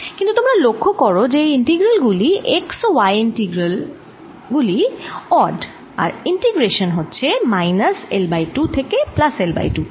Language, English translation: Bengali, but you see, these integrals, x and y integrals, are odd and integral is being performed from minus l by two to plus l by two, so they contribute zero